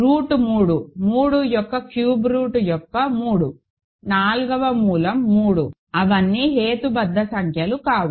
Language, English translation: Telugu, Root 3; cube root of 3 fourth root of 3 they are all not rational numbers